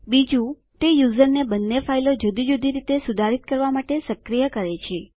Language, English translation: Gujarati, Second, it enables the user to modify both the files separately